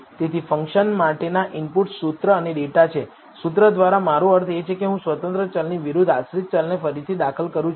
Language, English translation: Gujarati, So, the inputs for the function are formula and data, by formula I mean I am regressing dependent variable versus the independent variable